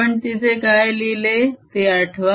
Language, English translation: Marathi, recall what did we write there